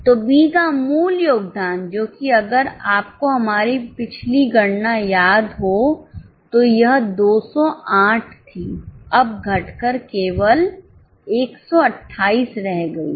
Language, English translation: Hindi, So, the original contribution from B which was, if you remember our last calculation which was 208, now has come down only to 128